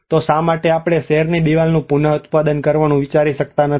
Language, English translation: Gujarati, So why not we can think of reproducing of the city wall